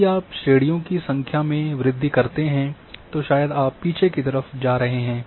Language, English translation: Hindi, If you increase the number of classes probably you are going backward